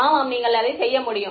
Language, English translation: Tamil, Yeah you can do that